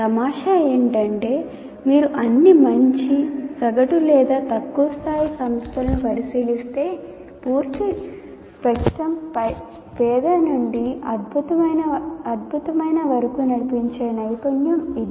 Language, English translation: Telugu, If you look at any all good or average or low end institutions that you take, this skill runs the full spectrum from poor to excellent